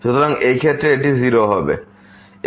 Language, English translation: Bengali, So, in this case this is 0